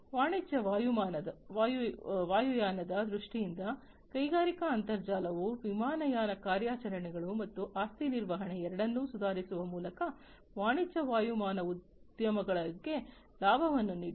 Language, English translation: Kannada, In terms of commercial aviation, the industrial internet, has benefited the commercial aviation industries by improving both airline operations and asset management